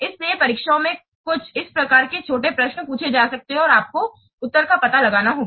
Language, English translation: Hindi, So in the examination, some these types of small questions might be asked and you have to find out the answer